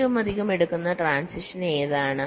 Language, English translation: Malayalam, so which are most commonly taken, transitions